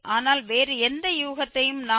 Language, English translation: Tamil, 5 but any other guess also we can take 0